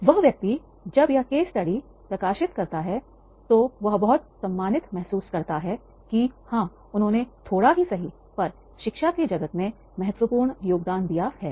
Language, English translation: Hindi, The person, when this particular case study is published, then he feel very much honored that is the yes, he has contributed, maybe a little significance that is for the world of academia